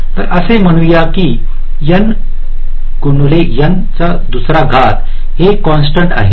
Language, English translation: Marathi, so let say it is equal to some ah constant